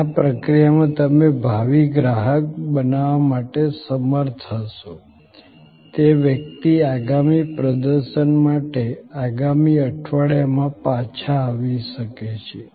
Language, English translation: Gujarati, And in the process you may be able to create a future customer, the person may come back next weeks for the next performance